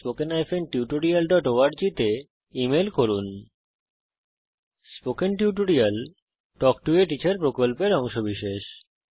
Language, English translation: Bengali, Spoken Tutorial Project is a part of Talk to a Teacher project